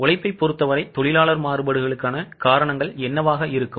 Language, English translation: Tamil, Now, as far as the labour is concerned, what could be the reasons for labour variances